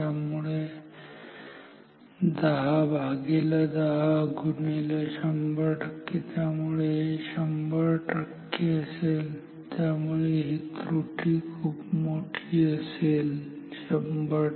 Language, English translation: Marathi, So, 10 by 10 into 100 percent; so, this will be 100 percent; so, huge error 100 percent error